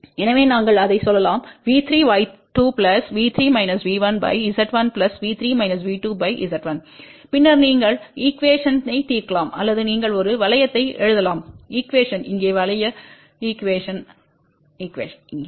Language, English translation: Tamil, So, we can say that V 3 times Y 2 V plus V 3 minus V 1 divided by Z 1 plus V 3 minus V 2 divided by Z 1, and then you can solve the equation or you can write a loop equation here loop equation here